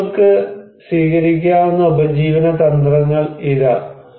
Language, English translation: Malayalam, Here are the livelihood strategies people can take